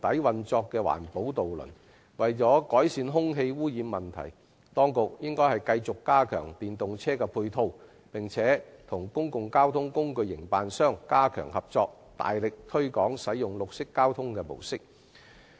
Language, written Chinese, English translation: Cantonese, 為了改善空氣污染問題，當局應繼續加強電動車的配套設施，加強與公共交通工具營辦商合作，大力推廣綠色交通模式。, In order to ameliorate air pollution the authorities should continue to enhance the ancillary facilities for electric vehicles strengthen cooperation with public transport operators and vigorously promote green transport